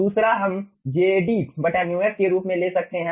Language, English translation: Hindi, second, 1 we can take as jd by mu f